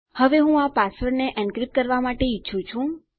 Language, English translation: Gujarati, Now I want to encrypt these passwords